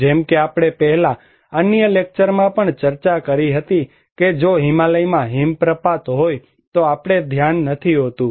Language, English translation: Gujarati, Like we discussed before in other lectures that if we have avalanches in Himalayas we do not care